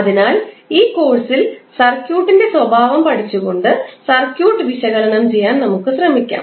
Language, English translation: Malayalam, So, what we will study in this course; we will try to analyse the circuit by studying the behaviour of the circuit